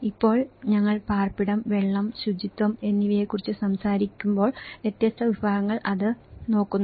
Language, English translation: Malayalam, Now, when we talk about the shelter and water and sanitation, so different segments they look at it